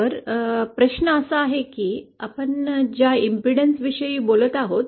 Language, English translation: Marathi, So the question is what is this impedance that we are talking about